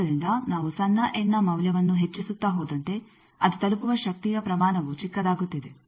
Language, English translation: Kannada, So, as we go on increasing the value of the small n, the amount of power that is reaching that is becoming smaller and smaller